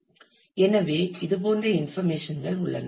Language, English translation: Tamil, So, it has informations like this